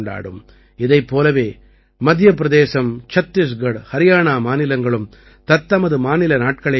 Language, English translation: Tamil, Similarly, Madhya Pradesh, Chhattisgarh and Haryana will also celebrate their Statehood day